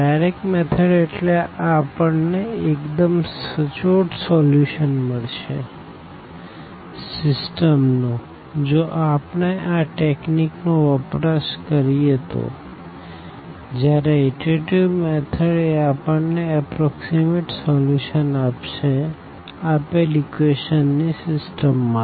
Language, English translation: Gujarati, The direct methods meaning that we get actually the exact solution of the system using these techniques whereas, here the iterative methods the they give us the approximate solution of the given system of equation